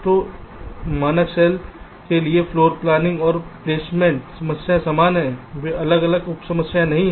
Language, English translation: Hindi, so for standard cell, floor planning and placement problems are the same